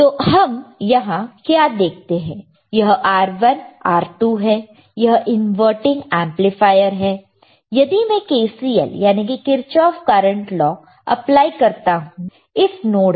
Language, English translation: Hindi, So, what we see if we apply if this is R1 R2 this is a inverting amplifier as you can see very clearly right, now if I apply K C L that is Kirchhoff Current Law at node a here ok